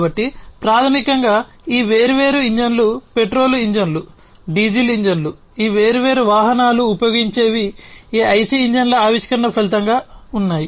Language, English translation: Telugu, So, basically all these different engines the petrol engines, the diesel engines, that these different vehicles use are a result of the invention of these IC engines